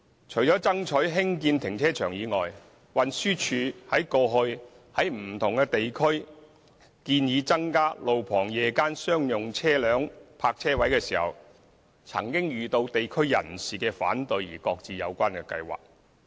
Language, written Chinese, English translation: Cantonese, 除了爭取興建停車場外，運輸署過去亦曾在不同地區建議增加路旁夜間商用車輛泊車位，唯因遇到地區人士反對而擱置有關計劃。, Apart from trying its best to provide public car parks the Transport Department has previously suggested to open up additional roadside spaces in different districts for night - time parking of commercial vehicles but the plan was subsequently shelved due to opposition from people in local communities